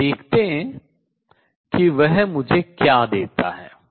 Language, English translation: Hindi, And let us see what is that give me